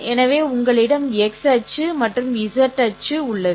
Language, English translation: Tamil, So you have an x axis, y axis, and a z axis